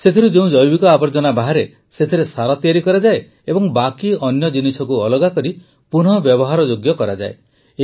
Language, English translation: Odia, The organic waste from that is made into compost; the rest of the matter is separated and recycled